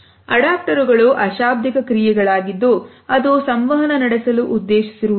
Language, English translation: Kannada, Adaptors are nonverbal acts that are not intended to communicate